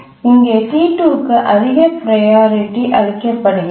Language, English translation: Tamil, We need to give a higher priority to T2